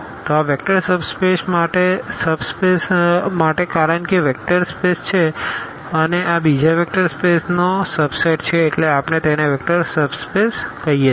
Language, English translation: Gujarati, So, this is for instance vector subspaces because this is a vector space and this is a subset of another vector space R n and therefore, we call this as a vector subspace